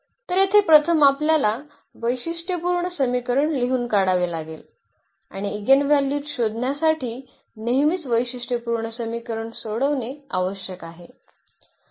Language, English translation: Marathi, So, here first we have to write down the characteristic equation and we need to solve the characteristic equation always to find the eigenvalues